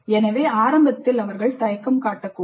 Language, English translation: Tamil, So initially they may be reluctant